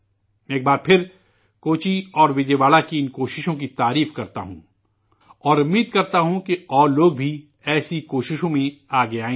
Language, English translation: Urdu, I once again applaud these efforts of Kochi and Vijayawada and hope that a greater number of people will come forward in such efforts